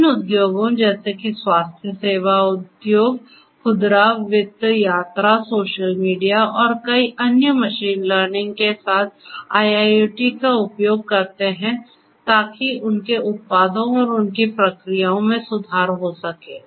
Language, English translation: Hindi, Different industries such as healthcare industry, retail, finance, travel, social media and many more use IIoT with machine learning in order to improve their products their processes and so on